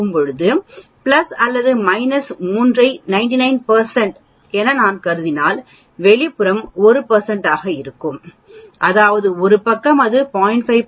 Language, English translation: Tamil, Similarly, if I consider plus or minus 3 sigma as 99 percent the outside area will be 1 percent that means, one side it will become 0